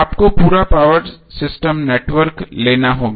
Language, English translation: Hindi, you have to take the complete power system network